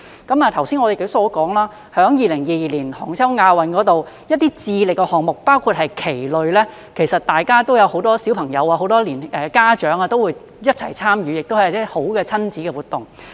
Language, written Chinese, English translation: Cantonese, 剛才我也說了，在2022年杭州亞運會上，一些智力的項目，包括棋類，其實有很多小朋友、家長也會一起參與，亦是一種好的親子活動。, As I have said earlier in the 2022 Asian Games in Hangzhou there will be many children and parents participating in some activities based on intellectual ability including chess which are also good parent - child activities